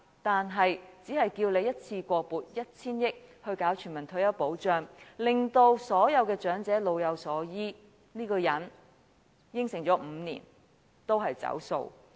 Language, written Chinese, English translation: Cantonese, 但對於我們只要求一次過撥款 1,000 億元推行全民退休保障，令所有長者老有所依，這個人5年前已作出承諾，卻仍然"走數"。, Despite his promise made five years ago he still defaults on honouring his promise even though we merely request a one - off provision of 100 billion for the implementation of universal retirement protection to ensure that the elderly will enjoy a sense of support